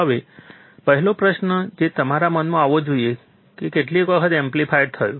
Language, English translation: Gujarati, Now, the first question that should come to your mind is, it amplified how many times